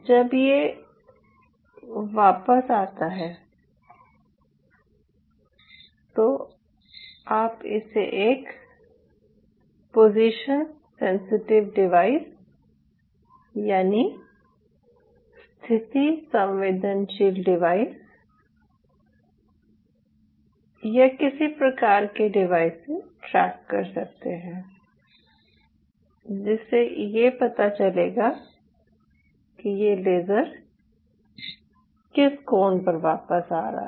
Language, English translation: Hindi, so now, once it bounces back, you can track it by having a position sensitive device or some kind of a device here which will see at what angle this laser is bouncing back